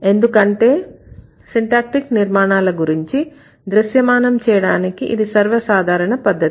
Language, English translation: Telugu, This is one of the most common ways to create a visual representation of syntactic structure